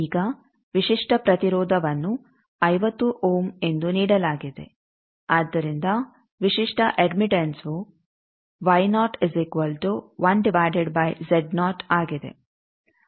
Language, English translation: Kannada, Now for characteristic impedance given as 50 ohm, so characteristic admittance is 1 by 50 mo